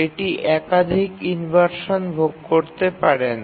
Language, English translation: Bengali, It cannot suffer multiple inversions of this type